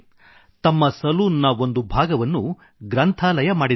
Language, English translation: Kannada, He has converted a small portion of his salon into a library